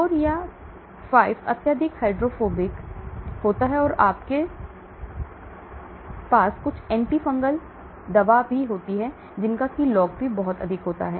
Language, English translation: Hindi, 4 or 5 highly hydrophobic, you have some anti fungal drugs having very high log P